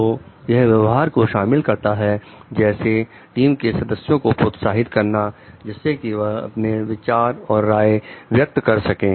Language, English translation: Hindi, So, it includes behavior such as encouraging team members to explain their ideas and opinions